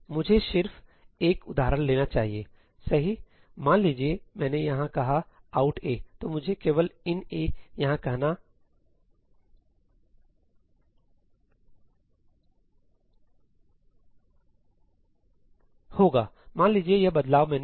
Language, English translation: Hindi, Let me just take an example, right; let us say that I said ëout aí here, so that I only have to say ëin aí over here; let us say this is the change I made